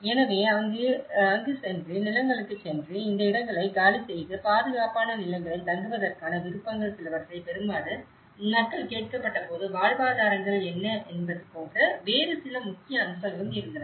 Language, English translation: Tamil, So, when people have been asked to get some you know, options of going there going into the land and vacate these places and stay in a safer lands but there are some other important aspects, what about the livelihoods